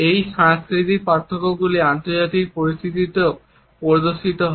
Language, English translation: Bengali, These cultural differences are also exhibited in international situations